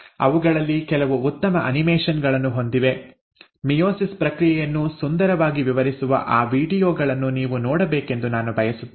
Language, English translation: Kannada, Some of them have got very good animations; I would like you to go through them which beautifully explains the process of meiosis